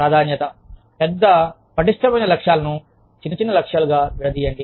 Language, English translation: Telugu, Break up, larger tougher goals, into smaller achievable goals